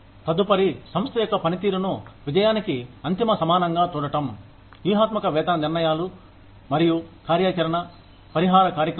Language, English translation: Telugu, The next one is, viewing the organization's performance, as the ultimate criterion of success of strategic pay decisions and operational compensation programs